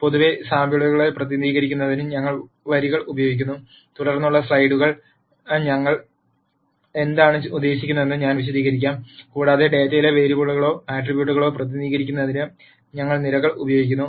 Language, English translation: Malayalam, In general, we use the rows to represent samples and I will explain what I mean by this in subsequent slides and we use columns to represent the variables or attributes in the data